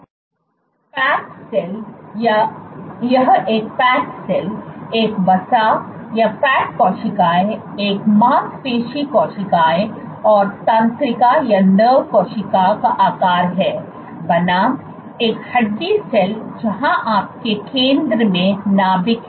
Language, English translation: Hindi, A Fat cell, this is the shape of a Fat cell, a Muscle cell, and nerve cell, versus a bone cell is you have the nuclei at the center